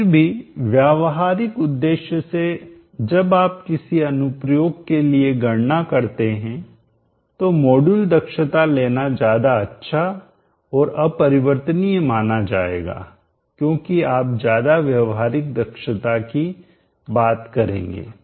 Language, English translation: Hindi, Over a practical purposes whenever you are calculating for a given application the module efficiency is a much more conservative and better value to take because you will be using the more practical efficiency